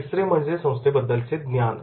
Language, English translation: Marathi, Third is organization knowledge